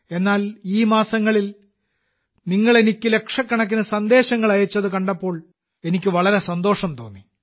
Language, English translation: Malayalam, But I was also very glad to see that in all these months, you sent me lakhs of messages